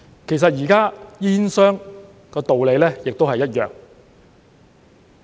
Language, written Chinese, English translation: Cantonese, 其實現時煙商的道理亦一樣。, The same applies to tobacco companies